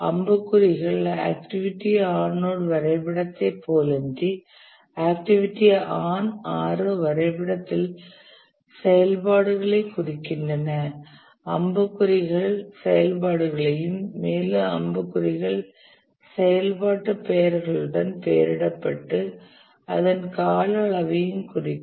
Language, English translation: Tamil, Arrows represent the activities unlike the activity on node diagram where nodes represent the activities in the activity on arrow diagram the arrows represent the activities the arrows are labeled with the activity names and also the duration